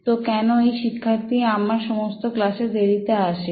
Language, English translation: Bengali, So why was this guy student late to all my classes